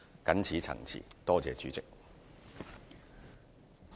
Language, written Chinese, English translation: Cantonese, 謹此陳辭，多謝代理主席。, Thank you Deputy President . I so submit